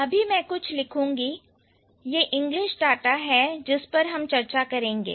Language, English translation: Hindi, This is again English data that I am going to discuss